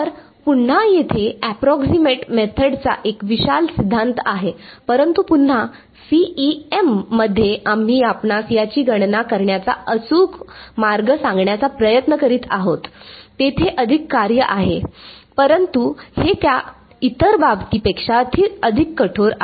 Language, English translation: Marathi, So, again there is a vast theory of approximate methods, but again in CEM what we will try to do is give you an exact way of calculating this, there is more it is more work, but it is a more rigorous than in the other case